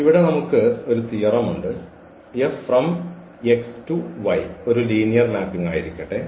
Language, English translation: Malayalam, So, there is a nice theorem here that F X to Y be a linear mapping